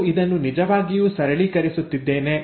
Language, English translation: Kannada, I am really simplifying this